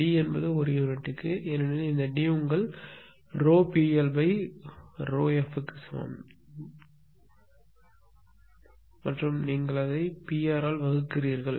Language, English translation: Tamil, And D will be your what you call in per unit because because this D is equal to your your delta P L upon delta f and you are dividing it by P r